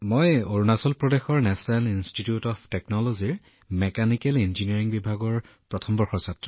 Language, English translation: Assamese, I am studying in the first year of Mechanical Engineering at the National Institute of Technology, Arunachal Pradesh